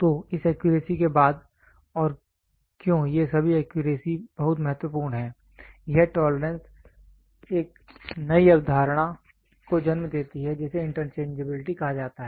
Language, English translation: Hindi, So, after this tolerance and why all these tolerance very important, this tolerance leads to a new concept called as interchangeability